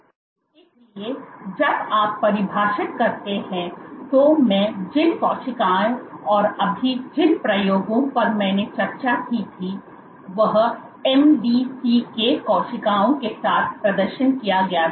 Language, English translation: Hindi, So, when you confine, so the cells which I was I had discussed just now the experiment I discussed first now was performed with MDCK cells